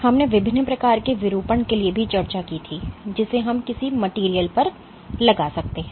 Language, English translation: Hindi, We had also discussed for the different types of deformation we can impose on a material